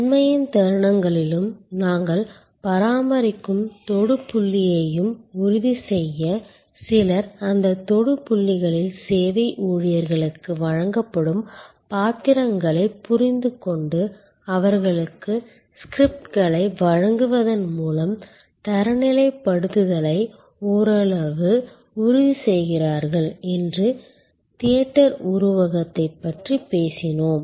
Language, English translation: Tamil, We talked about the theater metaphor that to ensure at the moments of truth and the touch point we maintain, some ensure to some extent, standardization is by understanding the roles given to the service employees at those touch points and providing them with scripts